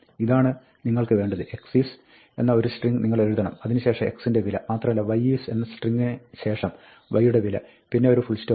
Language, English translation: Malayalam, This is what you want; you want to write a string, ‘x is’, then the value of x and ‘y is’, then the value of y and then, a full stop